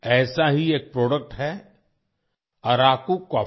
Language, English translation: Hindi, One such product is Araku coffee